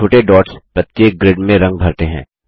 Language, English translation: Hindi, The small dots make up the color in each grid